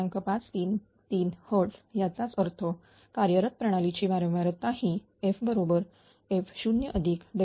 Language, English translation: Marathi, 533 hertz; that means, operating system frequency will be f is equal to f 0 plus delta F S S